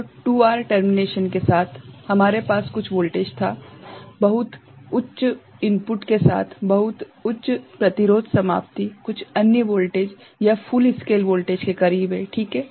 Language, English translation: Hindi, So, with 2R termination we had certain voltage with very high input, very high resistance termination, some other voltage, it is close to full scale voltage ok